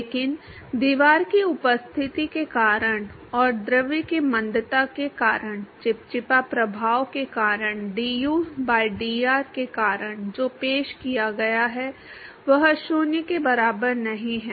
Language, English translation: Hindi, But what has been introduced because of the presence of the wall and because of the retardation of the fluid, because of the viscous effects to du by dr is not equal to 0